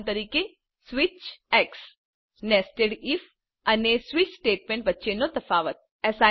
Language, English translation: Gujarati, Switch And Difference between nested if and switch statements